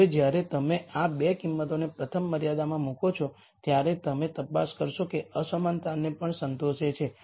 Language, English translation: Gujarati, Now when you put these 2 values into the first constraint you will check that it actually satisfies the inequality also